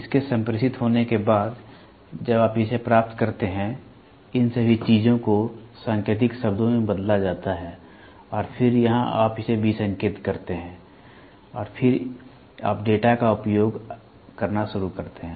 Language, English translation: Hindi, After it is communicated, when you receive it, all these things are this is coded and then here you decode it; decode it and then you start using the data